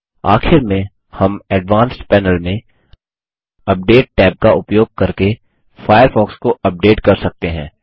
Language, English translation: Hindi, Lastly, we can update Firefox using the Update tab in the Advanced panel